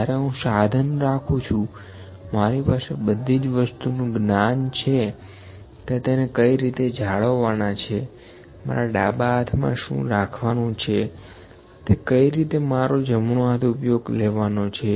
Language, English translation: Gujarati, When I have held the instrument, I have the knowledge of all the things how to hold that, what to hold in my left hand, how to use my right hand